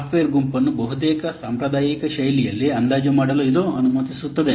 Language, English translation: Kannada, It permits the software group to estimate in an almost traditional fashion